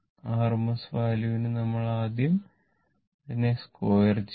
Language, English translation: Malayalam, For root mean square value, first we are squaring it square